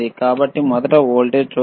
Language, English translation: Telugu, So, let us first see just the voltage